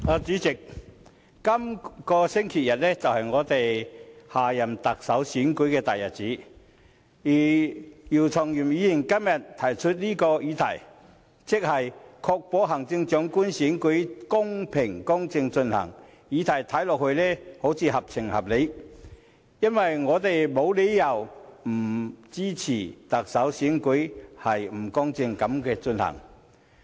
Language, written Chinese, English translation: Cantonese, 代理主席，今個星期日是我們選舉下任特首的大日子，而姚松炎議員今天提出這項"確保行政長官選舉公正進行"的議案，似乎合情合理，因為我們沒有理由不支持特首選舉公正地進行。, Deputy President this coming Sunday is the big day for electing our next Chief Executive it thus seems fair and reasonable for Dr YIU Chung - yim to propose this motion on Ensuring the fair conduct of the Chief Executive Election today because there is no reason for us not to support the fair conduct of the Chief Executive Election